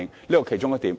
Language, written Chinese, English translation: Cantonese, 這是其中一點。, This is one of the points